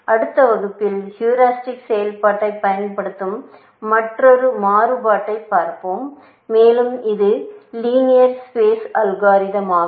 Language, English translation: Tamil, In the next class, we will look at another variation, which exploits the heuristic function, and which is also linear space algorithm